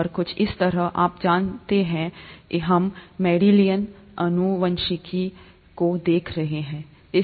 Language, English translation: Hindi, And something like this, you know, we will be looking at Mendelian genetics